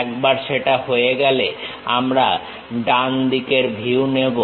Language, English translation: Bengali, Once that is done we will pick the right side view